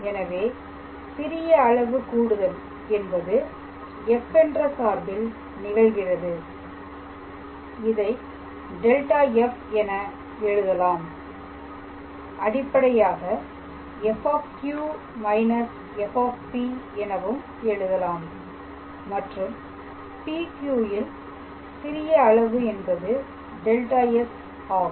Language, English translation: Tamil, So, that a small increment in the function f we write it as delta f which is basically f Q minus f P and the small element which is this PQ is basically delta S